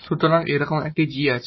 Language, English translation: Bengali, So, this here is M